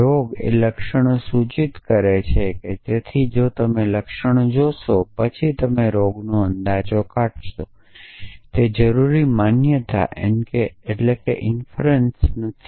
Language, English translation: Gujarati, So, disease implies symptoms if you see the symptom then you infer the disease essentially now that is not necessarily a valid inference